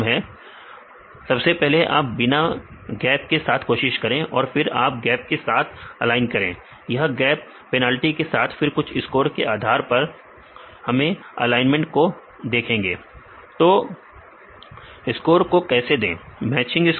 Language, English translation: Hindi, Right, you can first you try to use the without gaps then you can align with gaps with gap penalties then we see the alignment based on some scores how to give scores, matching score